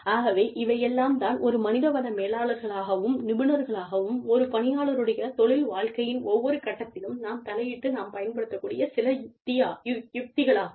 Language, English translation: Tamil, And, these are some of the strategies, that we can use, in order to, or as HR managers and professionals, we can intervene, at every stage, in an employee's work life